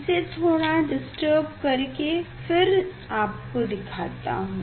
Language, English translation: Hindi, I will just I will disturb it and then again, I will show you